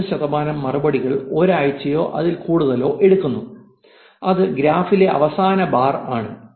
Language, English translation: Malayalam, One point three percent of replies arrive within a week or more that is the last bar on the graph